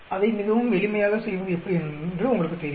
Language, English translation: Tamil, You know how to do it very simple